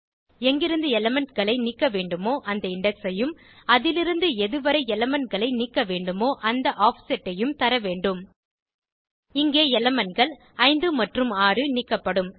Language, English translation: Tamil, We need to provide index from where we want to remove the elements and the offset upto which we want to remove the elements In our case, the elements 5 and 6 will be removed